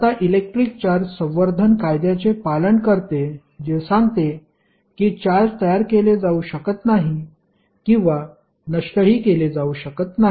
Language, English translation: Marathi, Now, the electric charge follows the law of conservation, which states that charge can neither be created nor can be destroyed